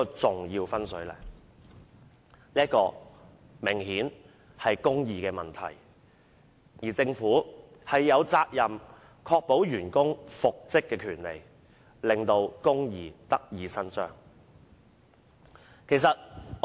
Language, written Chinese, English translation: Cantonese, 這明顯涉及公義問題。政府有責任確保員工復職的權利，令公義得以伸張。, The Government has the responsibility to ensure that employees have the rights of reinstatement so that justice can be done